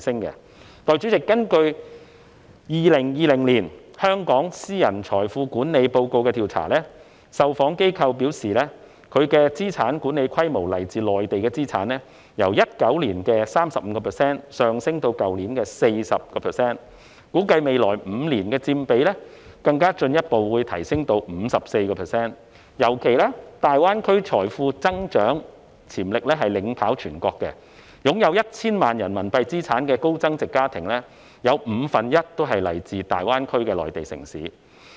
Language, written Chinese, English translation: Cantonese, 代理主席，根據《2020年香港私人財富管理報告》的調查，受訪機構表示它們的資產管理規模中，來自內地的資產由2019年的 35% 上升至去年 40%， 估計未來5年，有關佔比會更進一步提升至 54%， 尤其是考慮到大灣區財富增長潛力領跑全國，擁有 1,000 萬元人民幣資產的高增值家庭中，有五分之一是來自大灣區的內地城市。, Deputy President according to the survey cited in the Hong Kong Private Wealth Management Report 2020 the responding institutions stated that among the assets under their management the percentage from the Mainland had increased from 35 % in 2019 to 40 % last year . It is estimated that the percentage will further increase to 54 % in the next five years considering especially the fact that GBA ranks first in the country in terms of wealth growth potential and one fifth of the high - net - worth households with assets amounting to RMB10 million or above are from Mainland cities in GBA